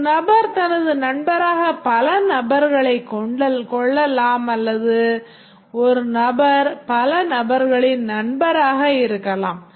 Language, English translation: Tamil, A person has many persons as his friend or a person befriends many persons